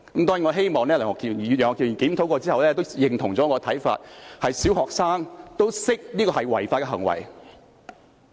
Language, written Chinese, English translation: Cantonese, 當然，我希望楊岳橋議員在檢討後也認同我的看法，便是小學生也知道這是違法行為。, Certainly I hope Mr YEUNG will agree with me after review that even primary students know that such an act is illegal